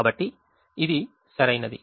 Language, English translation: Telugu, therefore it is optimal